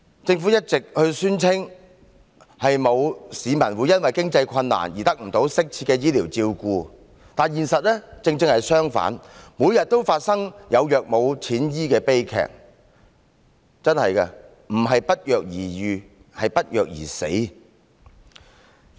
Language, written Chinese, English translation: Cantonese, 政府一直宣稱，沒有市民會因為經濟困難而得不到適切的醫療照顧，但現實正好相反，每天都發生有藥無錢醫的悲劇，不是不藥而癒，而是不藥而死。, The Government has always claimed that no one will be denied adequate medical treatment due to lack of means but the reality is just the exact opposite . The tragedy of patients having no money to buy the drugs they need just happens every day . They are not making recoveries without medication but dying from lack of medication